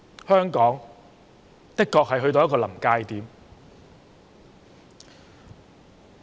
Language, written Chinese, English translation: Cantonese, 香港的確到了臨界點。, Hong Kong has really reached the breaking point